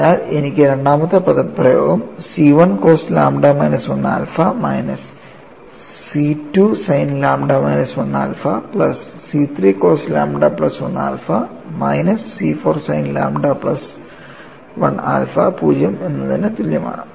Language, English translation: Malayalam, So, I get the second expression as C 1 cos lambda minus 1 alpha minus C 2 sin lambda minus 1 alpha plus C 3 cos lambda plus 1 alpha minus C 4 sin lambda plus 1 alpha that is equal to 0